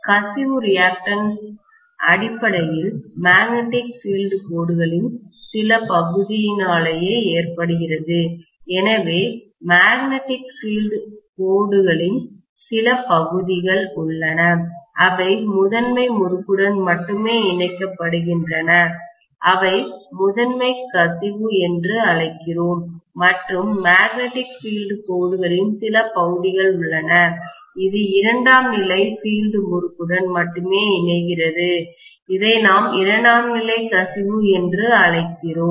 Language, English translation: Tamil, The leakage reactance is essentially due to some portion of the magnetic field lines, so we have some portion of the magnetic field lines which are linking only with the primary winding which we call as the primary leakage and we have some portions of the magnetic field lines which link only with the secondary of the field winding, which we call as the secondary leakage